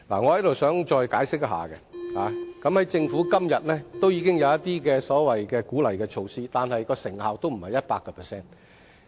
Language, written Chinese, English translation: Cantonese, 我想再解釋一下，政府今天已經有一些鼓勵措施，但不是取得 100% 成效。, I wish to explain a little further . The Government already has some incentive measures in place but they are not 100 % effective